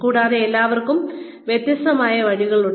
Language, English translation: Malayalam, And, everybody has a different way